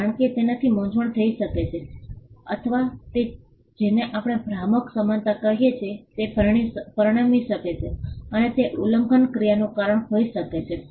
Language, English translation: Gujarati, Because that can cause confusion, or it can lead to what we call deceptive similarity and that can be a reason for an infringement action